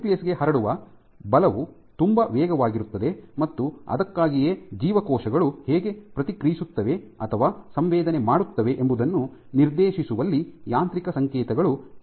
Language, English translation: Kannada, So, the force transmission to the nucleus is very fast and that is why mechanical signals can have a drastic effect in dictating how cells are responding or sensing